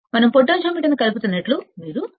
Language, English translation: Telugu, You can that see we are connecting potentiometer